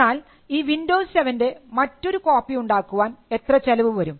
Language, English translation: Malayalam, How much does it cost anyone to make another copy of windows 7